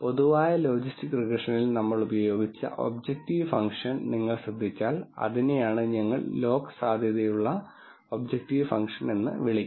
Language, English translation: Malayalam, If you notice the objective function that we used in the general logistic regression, which is what we called as a log likelihood objective function